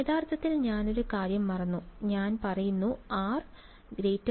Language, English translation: Malayalam, actually I forgot one think I am saying r greater than 0